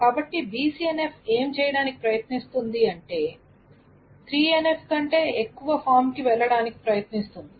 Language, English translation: Telugu, So what does BCNF tries to do is to BCNF tries to go to a higher form than 3NF